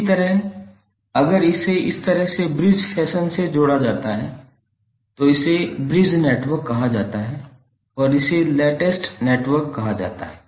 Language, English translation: Hindi, Similarly, if it is connected in bridge fashion like this, it is called bridge network and this is called the latest network